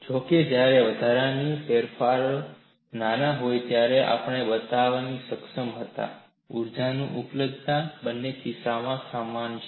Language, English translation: Gujarati, However, we were able to show when the incremental changes are small, the energy availability is same in both the cases